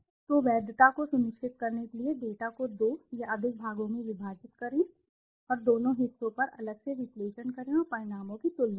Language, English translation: Hindi, So, in order to ensure the validity break/ split the data into 2 or more parts and make the analysis on separately on the both parts and compare the results